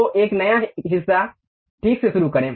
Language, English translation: Hindi, So, begin with new part OK